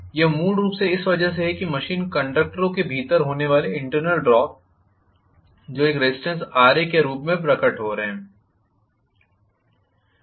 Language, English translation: Hindi, this is essentially because of the internal drop that is taking place within the machine conductors which are manifesting a resistance of Ra